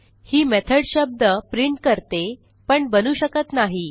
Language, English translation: Marathi, But this method only prints the word but does not create one